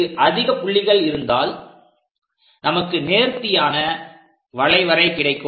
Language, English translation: Tamil, So, having many more points, we will be going to have a very smooth curve there